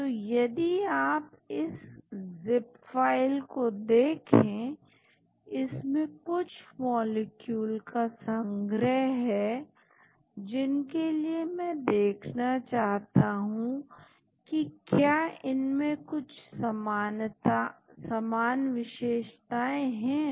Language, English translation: Hindi, So, if you look at this zip file it contains set of molecules for which I want to see whether there are any common features